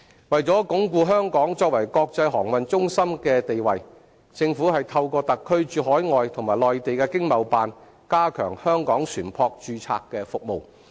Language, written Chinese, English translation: Cantonese, 為鞏固香港作為國際航運中心的地位，政府透過特區駐海外和內地的經貿辦，加強香港船舶註冊的服務。, To reinforce the status of Hong Kong as an international maritime centre the Government has enhanced the shipping registration service of Hong Kong through its Economic and Trade Offices on the Mainland and overseas